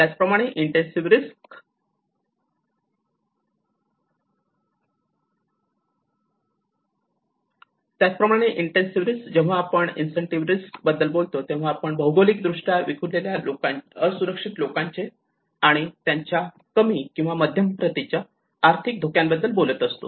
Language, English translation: Marathi, Whereas the extensive risk, when he talks about the extensive risk, he talks about the geographically dispersed exposure of vulnerable people and economic assets to low or moderate intensity hazard